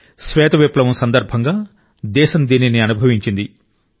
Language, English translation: Telugu, The country has experienced it during the white revolution